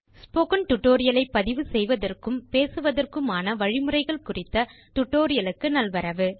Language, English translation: Tamil, Welcome to a presentation on the Guidelines for recording and narration of spoken tutorial